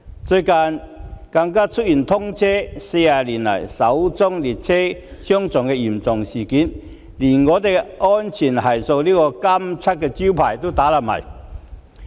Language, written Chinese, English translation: Cantonese, 最近更出現通車40年以來首宗列車相撞的嚴重事故，連"安全系數"這個金漆招牌也打破了。, The recent serious train collision first of its kind for 40 years has also blemished its shinning reputation in terms of safety